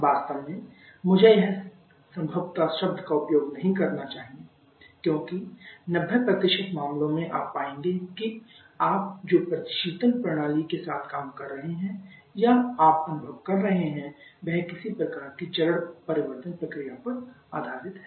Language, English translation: Hindi, In fact, I should not use probably, because in 90% cases for you will find that the refrigeration systems that you are dealing with your experiencing is based upon some kind of phase change process